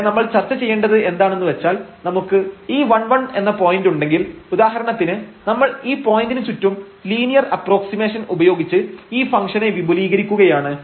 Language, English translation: Malayalam, So, what you want to discuss here that if we have this 1 1 point for example, and we are expanding this function around this point by a linear approximation